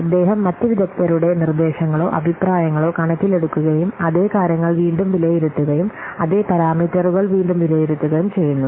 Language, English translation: Malayalam, He takes into account the suggestions or the opinions of the other experts and then he assesses the same matters once again